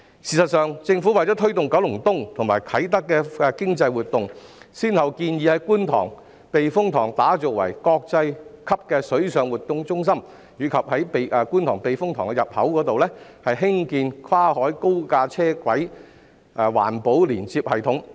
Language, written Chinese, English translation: Cantonese, 事實上，政府為推動九龍東及啟德的經濟活動，先後建議在觀塘避風塘打造國際級的水上活動中心，以及在觀塘避風塘入口處興建跨海高架單軌環保連接系統。, In fact the Government has proposed to build a world - class water sports centre at the Kwun Tong Typhoon Shelter and to construct an elevated monorail Environmentally Friendly Linkage System across the sea at the entrance of the Kwun Tong Typhoon Shelter with a view to fostering the economic activities in Kowloon East and Kai Tak